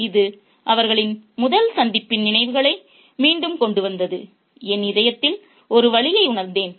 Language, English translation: Tamil, This brought back memories of the first meeting and I felt an ache in my heart